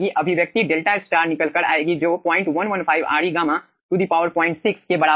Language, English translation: Hindi, the expression comes out to be: delta star is equals to point 115, re gamma to the power point 6